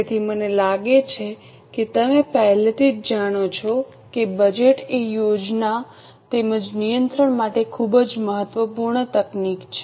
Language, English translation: Gujarati, So, I think you already know that budget is a very important technique for planning as well as control